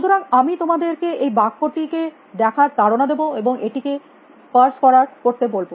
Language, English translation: Bengali, So, I would earlier to look at this sentence and try to parse it